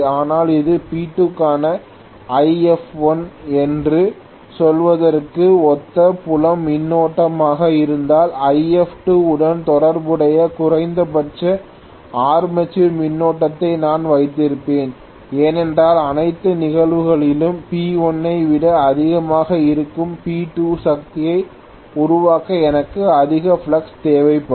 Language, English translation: Tamil, But if this is the field current corresponding to let us say this is If1 for P2 I would have the minimum armature current corresponding to If2 because to generate P2 power which is greater than P1 in all probability I will require a higher flux